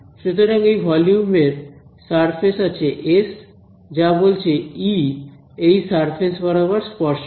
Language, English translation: Bengali, So, this volume has some surface S, this is saying that E tangential over this surface